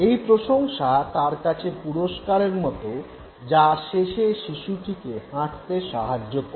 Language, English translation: Bengali, This appreciation works as a reward and this finally makes the human baby walk